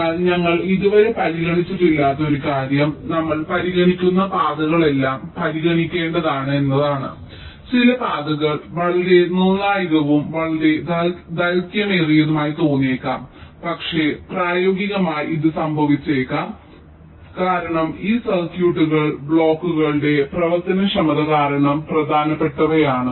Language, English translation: Malayalam, but one thing we did not consider, a z is that the paths that we are considering, are they all actual, important to consider, like there may be some paths which may look to be very critical, very long, but what may it happening in practice is that this circuits are such that, because the functionality of the blocks, gates, whatever, that is important, ok